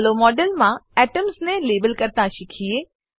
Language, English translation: Gujarati, Let us learn to label the atoms in the model